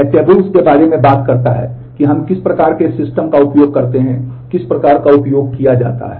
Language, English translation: Hindi, This talks about tables we use the type systems, what kind of typing is used